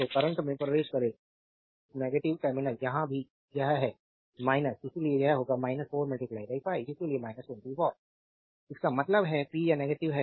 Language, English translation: Hindi, So, current enter into the negative terminal, here also it is minus your therefore, this will be minus 4 into 5